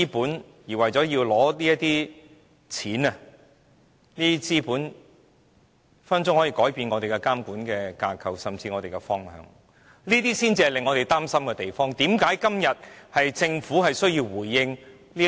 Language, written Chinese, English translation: Cantonese, 就是為了取得這些錢和資本，便改變我們的監管架構和方向，這才是令我們擔心的地方，也是政府今天需要回應的質疑。, Our regulatory framework and direction are altered out of the wish to earn such money and capital . This is the issue which worries us and the query which necessities the response from the Government today